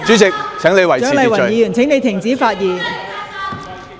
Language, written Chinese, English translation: Cantonese, 蔣麗芸議員，請你停止發言。, Dr CHIANG Lai - wan please stop speaking